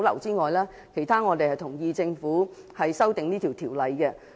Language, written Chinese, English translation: Cantonese, 就其他方面，我們同意政府修訂這項條例。, Other than that we agree with the Governments amendments to this regulation